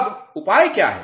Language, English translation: Hindi, Now, what are the remedies